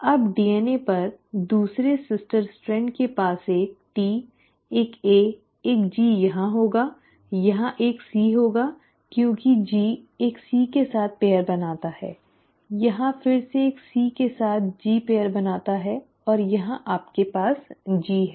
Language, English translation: Hindi, Now the other sister strand on the DNA will obviously be having a T, a A, a G here, here it will have a C because G pairs with a C, here again G pairs with a C and here you have a G